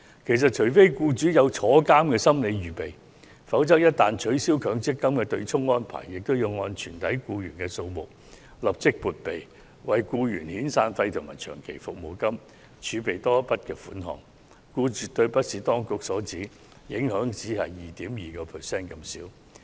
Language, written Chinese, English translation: Cantonese, 其實，除非僱主有坐牢的心理預備，否則一旦取消強積金對沖安排，便要按全體僱員數目立即撥備，為僱員遣散費及長期服務金儲備多一筆款項，因而絕對並非當局所指，只會帶來 2.2% 增幅這麼輕微的影響。, In fact unless employers are prepared to have themselves imprisoned once the offsetting arrangement under the MPF System is abolished they will have to make provisions for all their employees and set aside additional funds for severance payment and long service payment . Hence the impact will definitely not be a mere increase of 2.2 % as suggested by the Government